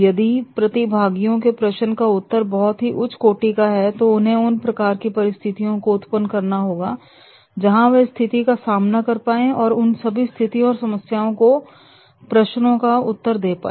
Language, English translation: Hindi, If the questions of the trainees are very high level, then he is supposed to develop those sort of the situations where he can compete the facing that situation and answering those all sort of the situations and the queries and doubts